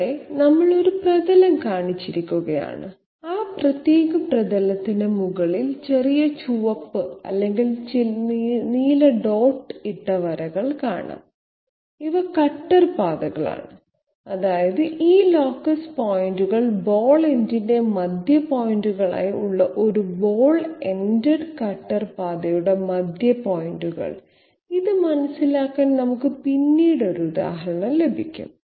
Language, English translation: Malayalam, Here we have shown a surface and you can see some small red or rather blue dotted lines just over that particular surface, these are cutter paths that mean the centre point of a ball ended cutter path with these locus point as the centre points of the ball end okay, we will have an example later also in order to understand this